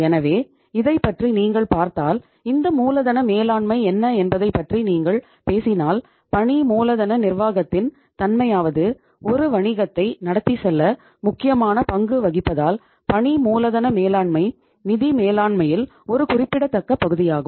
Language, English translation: Tamil, So if you look at this what is the this working capital management if you talk about, nature of the working capital management, working capital management is a significant part of financial management due to the fact that it plays a pivotal role in keeping the wheels of business enterprise running